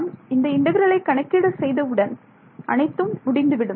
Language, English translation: Tamil, once I know how to calculate this integral I am done